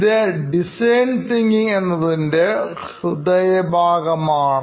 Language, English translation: Malayalam, This pretty much is the central piece of design thinking